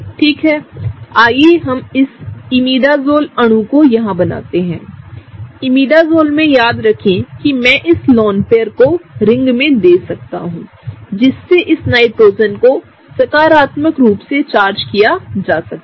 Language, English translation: Hindi, Okay, let us draw this Imidazole molecule here; now in the case of Imidazole remember that I can draw this particular lone pair giving into the ring that will cause this Nitrogen to be positively charged